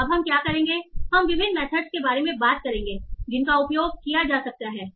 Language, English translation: Hindi, So now what we will do we will talk about different methods that can be used